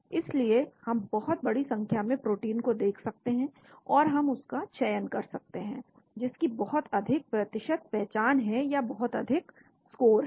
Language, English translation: Hindi, So we can look at large number of proteins and we can select the one which has a very high percentage identity or a very high score